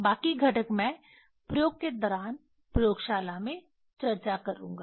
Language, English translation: Hindi, Rest of the components I will discuss in the laboratory during the experiment